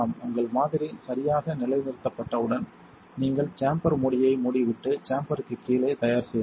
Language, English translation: Tamil, Once your sample has been properly positioned, you may close the chamber lid and prepared upon the chamber down